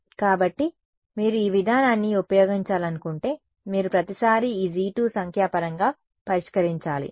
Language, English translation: Telugu, So, you if you want to use this approach, you will have to numerically calculate this G 2 every time